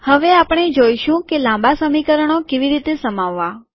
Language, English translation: Gujarati, We will now see how to accommodate long equations